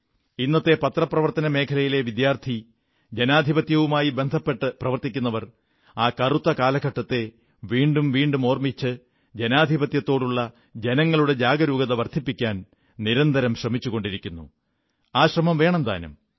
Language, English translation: Malayalam, The presentday students of journalism and the champions of democracy have been endeavouring towards raising awareness about that dark period, by constant reminders, and should continue to do so